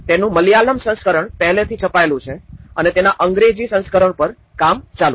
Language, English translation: Gujarati, So, the Malayalam version is already printed and the English version is on the process